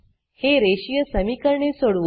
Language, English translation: Marathi, Solve the system of linear equations